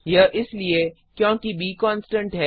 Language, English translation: Hindi, Here, b is a constant